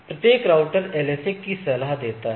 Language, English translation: Hindi, So, it has a each router advised the LSAs